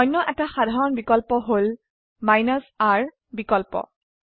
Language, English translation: Assamese, The other common option is the r option